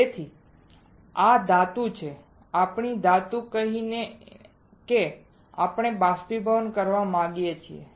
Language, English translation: Gujarati, So, this is the metal let us say metal that we want to evaporate